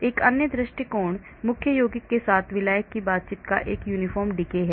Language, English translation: Hindi, another approach is uniform decay of the interaction of the solvent with the main compound